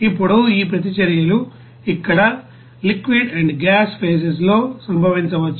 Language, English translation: Telugu, Now, these reactions can occur in liquid and gas phases here